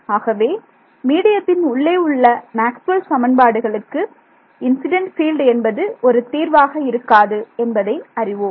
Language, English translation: Tamil, So, we know that the incident field is not a solution to Maxwell’s equations inside the medium it will be